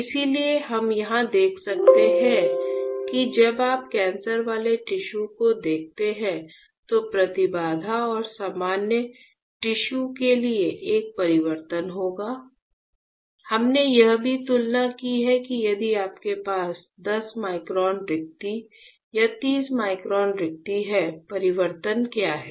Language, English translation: Hindi, So, we can see here there is a change in the impedance and for normal tissues compared to when you look at the cancerous tissues, we also compared that if you have 10 micron spacing or 30 micron spacing; what is the change